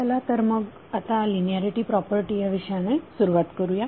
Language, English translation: Marathi, So let us start the topic on linearity property